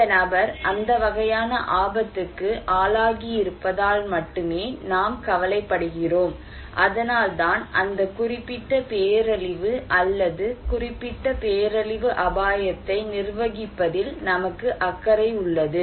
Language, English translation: Tamil, So, this person is exposed to that kind of hazard, and that is why we have concern to manage that particular disaster or particular disaster risk right